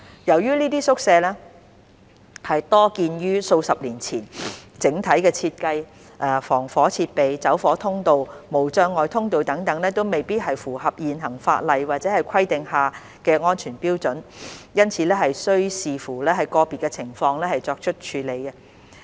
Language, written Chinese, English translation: Cantonese, 由於這些宿舍多建於數十年前，整體設計、防火設備、走火通道、無障礙通道等未必符合現行法例或規定下的安全標準，因此須視乎個別情況作出處理。, As disused quarters were mostly built decades ago their overall design fire service installation fire escapes barrier - free access etc may not meet the prevailing statutory or required safety standards and should therefore be handled case by case